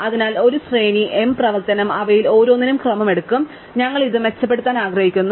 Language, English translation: Malayalam, So, a sequence m operation, each of them will take order n time and we would like to improve on this